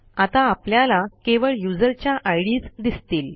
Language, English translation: Marathi, Now we can see only the ids of the users